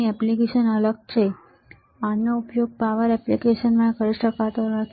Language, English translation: Gujarati, The application is different, this cannot be used in power applications, this can be used in power applications